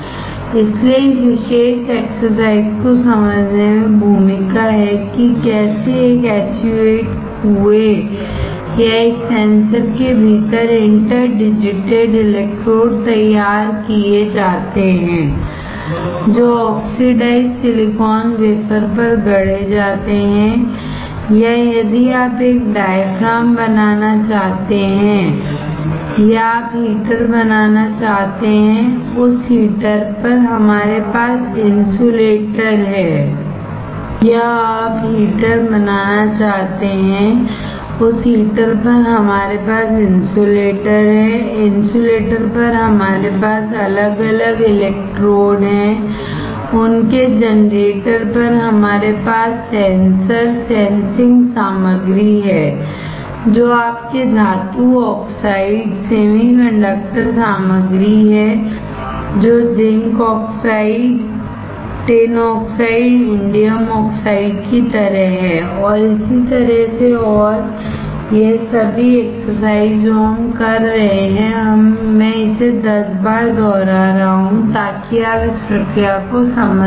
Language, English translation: Hindi, So, the role of this particular exercise understanding how interdigitated electrodes are fabricated within a SU 8 well or a sensor that is fabricated on the oxidized silicon wafer or if you want to create a diaphragm or you want to create a heater, on that heater we have insulator, on insulator we have individual electrodes, on their generators we have sensor, sensing material which is your metal oxide semiconductor materials which is like zinc oxide tin oxide indium oxide and so and so forth, all this exercise that we are doing; I am repeating it 10 times so that you understand the process